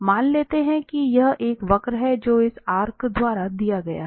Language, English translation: Hindi, So, for instance, this is the curve given by this arc here